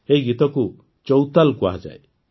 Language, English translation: Odia, These songs are called Chautal